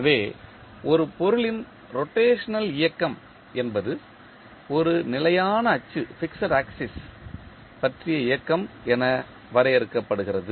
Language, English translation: Tamil, So, the rotational motion of a body can be defined as motion about a fixed axis